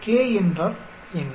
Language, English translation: Tamil, What is k